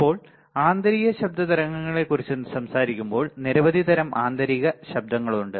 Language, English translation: Malayalam, Now, when we talk about types of internal noise, then there are several type of internal noise